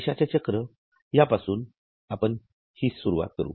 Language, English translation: Marathi, But to begin with, this is what is a money cycle